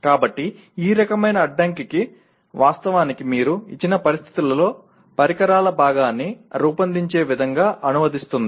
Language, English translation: Telugu, So this kind of constraint will actually translate into the way you would design a piece of equipment in a given situation